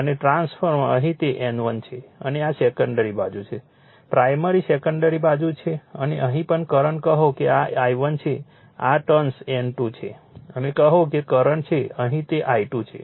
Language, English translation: Gujarati, And trans here it is N 1, and this is my secondary side, right primary secondary side and here also say current say this is I 1 turn this turn this is the N 2 and say current is here it is I 2